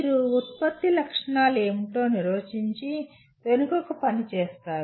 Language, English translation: Telugu, You define what a product specifications and work backwards